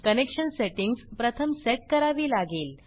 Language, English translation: Marathi, Connection settings have to be set first